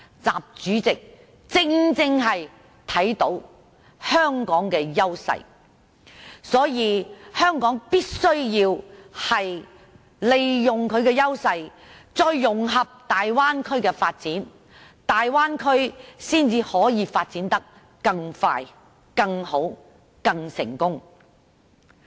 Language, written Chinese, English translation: Cantonese, 習主席正正看到香港的優勢，所以香港必須利用優勢，再融合大灣區的發展，大灣區才可以發展得更快、更好、更成功。, President XI is exactly aware of Hong Kongs advantages . So Hong Kong should draw on its advantages and integrate into the development of the Bay Area so as to enable the Bay Area to develop more expeditiously satisfactorily and successfully